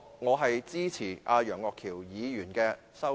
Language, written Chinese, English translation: Cantonese, 我支持楊岳橋議員的議案。, I support Mr Alvin YEUNGs motion